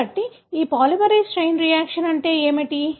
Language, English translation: Telugu, So, what is this polymerase chain reaction